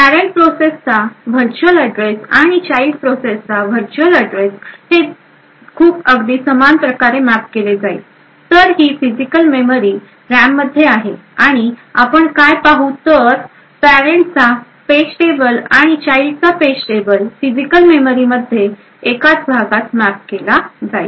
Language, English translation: Marathi, Although virtual addresses for parent process and the child process would get mapped in a very similar way, so this is the physical memory present in the RAM and what we see over here is that the page tables of the parent as well as the child would essentially map to the same regions in the physical memory